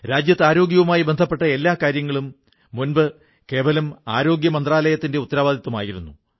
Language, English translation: Malayalam, Earlier, every aspect regarding health used to be a responsibility of the Health Ministry alone